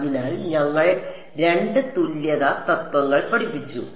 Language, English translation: Malayalam, So, we studied two equivalence principles